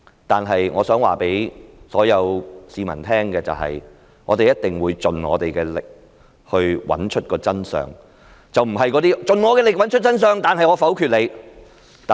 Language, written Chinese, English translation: Cantonese, 但是，我想告訴所有市民，我們一定會盡力找出真相，不是"盡我的力找出真相，但是我否決你"。, But I wish to tell all members of the public that we will definitely do everything we can to find out the truth not doing everything I can to find out the truth but I will vote against your proposal